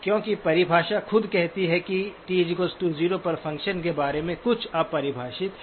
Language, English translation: Hindi, Because the definition itself says that there is something undefined about the function at t equals 0